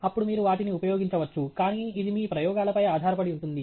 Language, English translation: Telugu, Then, you can use them, but it depends on your experiments